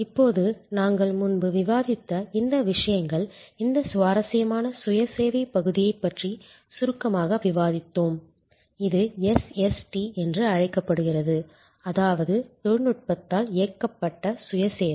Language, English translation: Tamil, Now, these things we have discussed before, we did briefly discuss about this interesting area of self service, also known as SST that means Self Service enabled by Technology